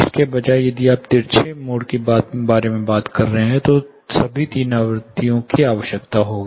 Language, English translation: Hindi, Instead if you are talking about a public mode, all the three frequencies will come into picture